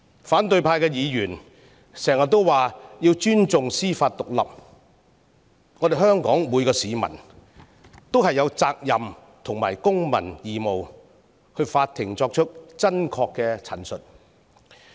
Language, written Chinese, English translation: Cantonese, 反對派議員經常說要尊重司法獨立，香港每名市民也有責任和公民義務出庭作出真確陳述。, Members from the opposition camp have long been preaching the need to respect judicial independence . It is the responsibility and civic obligation of every member of the public in Hong Kong to give an authentic statement in court